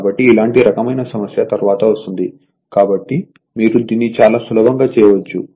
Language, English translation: Telugu, So, because similar type of problem later you will get it so, one can do it very easily right